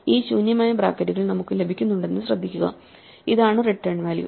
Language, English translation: Malayalam, Notice that we are getting these empty brackets, this is the returned value